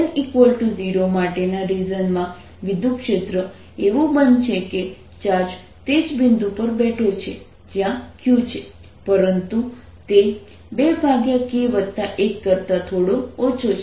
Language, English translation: Gujarati, so electric field in the region for x less than or equal to zero is going to be as if the charge is sitting at the same point where q is, but it's slightly less: two over k plus one